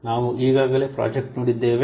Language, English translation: Kannada, We have already seen earlier